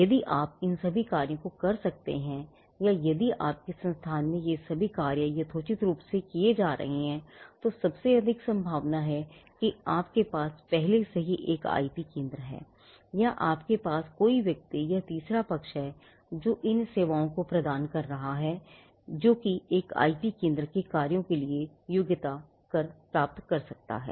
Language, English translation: Hindi, Now, if you can do all these functions or if all these functions are being done reasonably well in your institution then most likely you already have an IP centre or you have someone or some third party who is rendering these services which can qualify for the functions of an IP centre